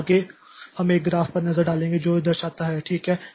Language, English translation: Hindi, So, next we'll have a look at a graph that shows that, okay, so this is the ideal situation